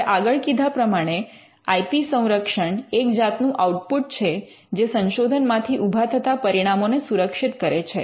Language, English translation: Gujarati, Now, IP protection as we said is the output that protects the results that come out of this research